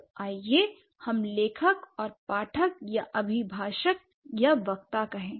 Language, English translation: Hindi, Let's say writer and reader or addressee or speaker